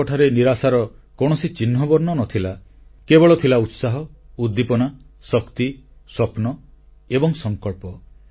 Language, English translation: Odia, I talked to them, there was no sign of despair; there was only enthusiasm, optimism, energy, dreams and a sense of resolve